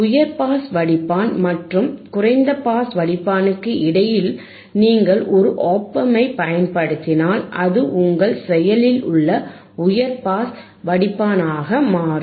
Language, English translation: Tamil, If you use an op amp in between the high pass filter and the low pass filter, it becomes your active high pass filter a active band pass filter, right